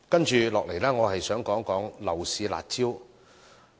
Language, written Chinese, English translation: Cantonese, 接下來我想談談樓市"辣招"。, Now I would like to talk about the curb measures for the property market